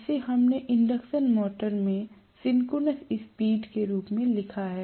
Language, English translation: Hindi, This we wrote as the synchronous speed in an induction motor